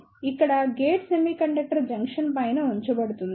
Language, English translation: Telugu, So, here the gate is placed on the top of the semiconductor junction